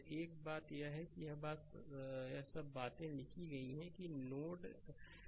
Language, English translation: Hindi, One thing is there that all this things are written that there is a node a right